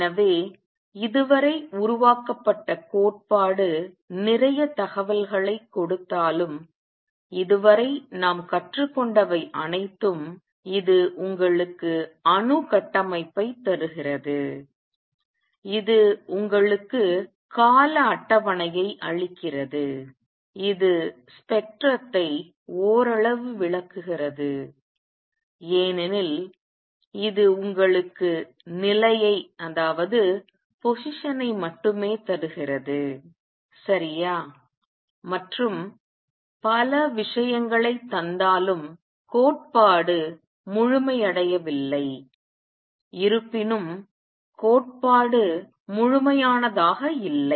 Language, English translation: Tamil, So, although the theory developed so far gives a lot of information and what all have we learned so far, it gives you atomic structure, it gives you periodic table explains spectrum partially because it gives you only the position, right and many other things still the theory is not complete; however, the theory is far from complete